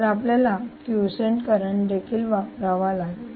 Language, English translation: Marathi, so we may want to add the quiescent current as well